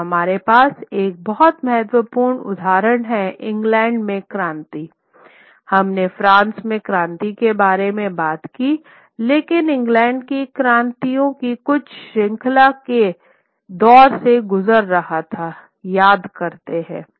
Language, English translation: Hindi, And what we had also is one very important example is that the revolution in England, we talk about the revolution in France, but we very often miss that England also underwent a certain series of revolutions